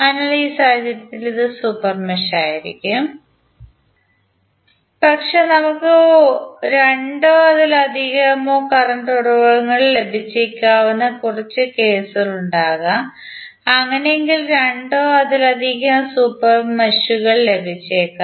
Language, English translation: Malayalam, So, in this case this would be the super mesh but there might be few cases where we may get two or more current sources and then in that case we may get two or more super meshes